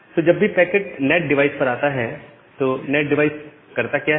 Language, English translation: Hindi, So, whenever it is coming to the NAT device, what the NAT device does